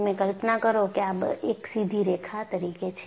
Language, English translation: Gujarati, You imagine that, this as a straight line